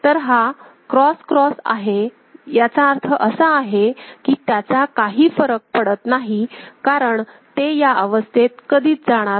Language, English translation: Marathi, So, this is cross cross; that means, it does not matter because it is supposed, it is considered that it will never go to those states